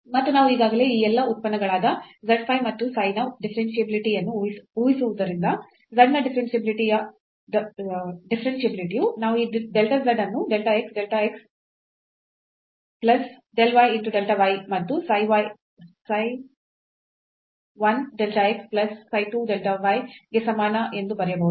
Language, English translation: Kannada, And since we have assumed already the differentiability of all these functions z phi and psi, then differentiability of z will imply that we can write down this delta z is equal to del x delta x plus del y delta y and psi 1 delta x plus psi 2 delta y